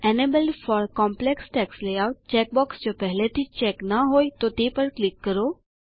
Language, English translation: Gujarati, Click on the check box Enabled for complex text layout, if it is not already checked